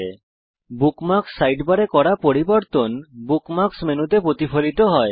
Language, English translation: Bengali, Changes you make in the Bookmarks Sidebar are also reflected in the Bookmarks menu